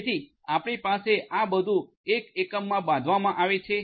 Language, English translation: Gujarati, So, you are going to have all of these built in one unit